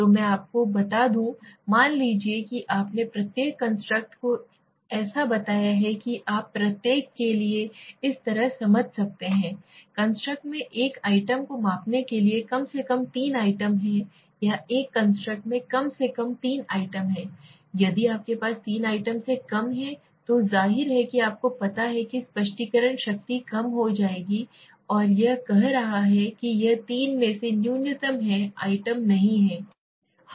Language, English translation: Hindi, So let me tell you, suppose you have let s say each constructs you can simply understand this way for each construct have at least minimum of 3 items for measuring one item or one construct at least there has to be three items if you have less than 3 items then obviously you know the explanation power will get reduced okay and it is saying it is minimum of three items